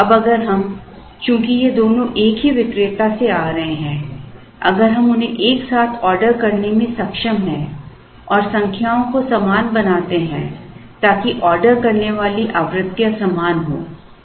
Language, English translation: Hindi, Now if we, since both these are coming from the same vendor, if we are able to order them together and make the number orders equal so that the ordering frequencies are the same